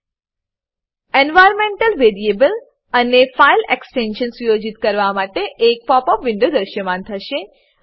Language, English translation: Gujarati, A popup window for setting environmental variable and file extension will appear